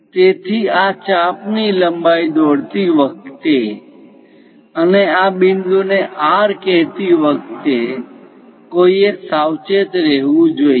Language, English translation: Gujarati, So, one has to be careful while drawing these arcs length and let us call this point R